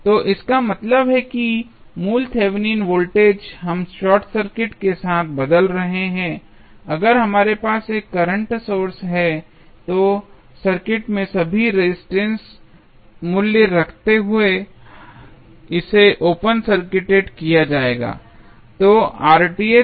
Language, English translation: Hindi, So, that means, that the original Thevenin voltage we are replacing with the short circuit, if we have a current source then it will be open circuited while keeping all resistance value in the circuit